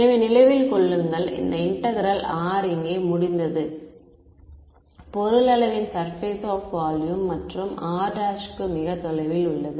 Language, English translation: Tamil, So remember, in this integral r is over the object either surface of volume and r prime is far away correct